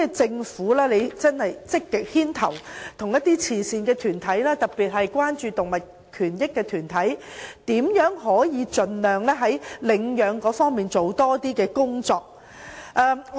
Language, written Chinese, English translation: Cantonese, 政府會否積極牽頭，與慈善團體，特別是關注動物權益的團體研究，如何在領養方面多做工夫。, Will the Government actively take the lead in conducting studies with charity organizations especially groups concerned about animal rights on how to do more in respect of adoption?